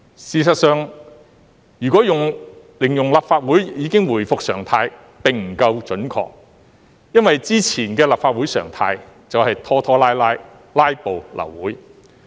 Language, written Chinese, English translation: Cantonese, 事實上，如果形容立法會已經回復常態並不夠準確。因為之前的立法會常態便是拖拖拉拉，"拉布"、流會。, Actually it may be inaccurate to say that the Legislative Council has returned to its normality because the normal days of the Legislative Council were once characterized by procrastination filibuster or meetings being aborted by a lack of quorum